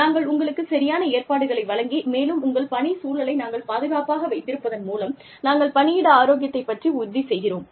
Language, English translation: Tamil, If we give you the proper provisions, if we keep your working environment safe, we are ensuring, workplace health